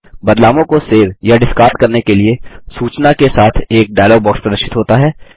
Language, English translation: Hindi, A dialog box with message Save or Discard changes appears